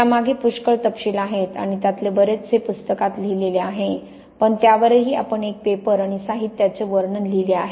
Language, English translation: Marathi, There is a lot of detail again behind that and as most of that is written in the book but also we wrote a paper and materials characterization on this